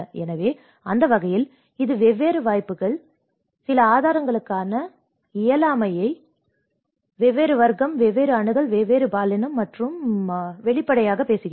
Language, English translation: Tamil, So, in that way, it obviously talks about different opportunities, different access to certain resources, different class, different gender and the disability